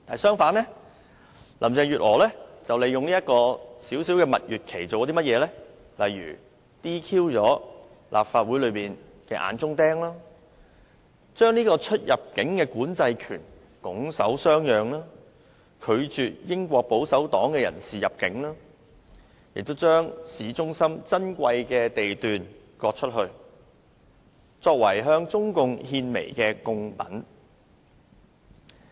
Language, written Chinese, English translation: Cantonese, 相反，林鄭月娥利用這段短暫蜜月期 ，"DQ" 立法會內的"眼中釘"，將出入境管制權拱手相讓，拒絕英國保守黨的人士入境，並將市中心珍貴地段割出，作為向中共獻媚的貢品。, On the contrary Carrie LAM has made use of this brief honeymoon period to disqualify eyesores in the Legislative Council give up the immigration control power refuse the entry of someone from the British Conservative Party and cede a piece of precious land in the city centre to the Communist Party of China CPC to win its favour